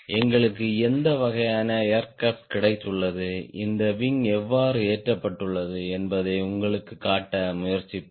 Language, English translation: Tamil, i will try to show you with what type of aircraft we have got, how this wing has been mounted